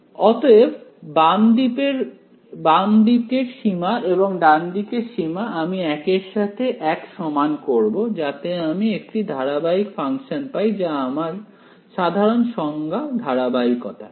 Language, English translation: Bengali, So, these left limit and right limit I am going to set to each other, so that I get a continuous function we have basic definition of continuity